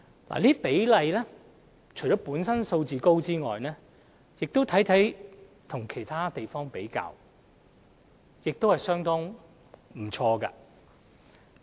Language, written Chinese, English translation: Cantonese, 這些比率除了本身數字高外，相比其他海外司法管轄區亦相當不錯。, The high percentage is rather satisfactory when compared with those of overseas jurisdictions